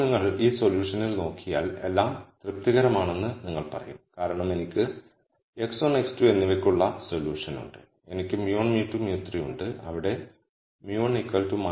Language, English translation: Malayalam, Now if you just look at this solution, you will you will say it seems to satisfy everything because I have a solution for x 1 and x 2 and I have mu 1, mu 2, mu 3 where mu 1 is minus 4